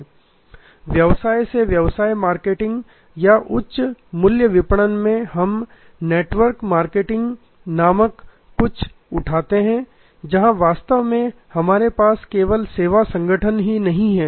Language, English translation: Hindi, In B2B marketing or high value marketing, we also pickup something called network marketing, where actually we have not only the directly from the service organization